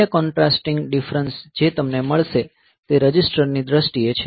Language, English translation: Gujarati, Another contrasting difference that you will find is in terms of the registers